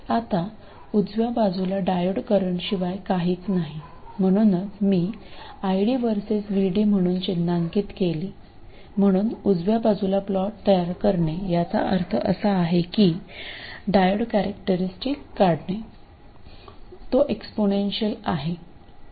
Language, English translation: Marathi, Now the right side is nothing but the diode current so that's why I have marked it as ID versus VD so plotting the right side simply means plotting the diode characteristics which are like that it is the exponential